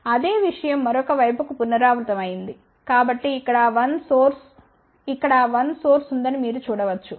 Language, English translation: Telugu, So, the same thing has been repeated for the other side so you can see here there is a 1 source here, 1 source over here